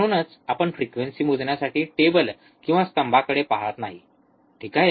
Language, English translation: Marathi, So, that is why we are not looking at the table or a column in the table to measure the frequency, alright